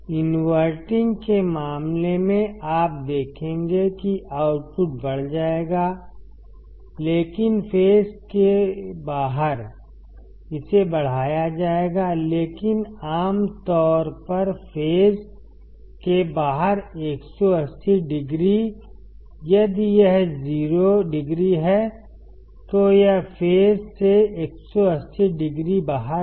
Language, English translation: Hindi, in the case of inverting; you will see that the output would be amplified, but out of phase; it will be magnified, but generally 180 degree out of phase; if this is 0 degree, it is 180 degree out of phase